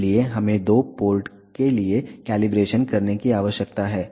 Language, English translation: Hindi, So, we need to do the calibration for two port